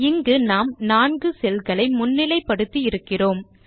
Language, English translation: Tamil, Here we have highlighted 4 cells